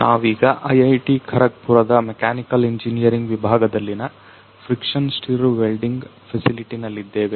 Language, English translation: Kannada, So, right now we are in the friction stir welding facility of the department of Mechanical Engineering at IIT Kharagpur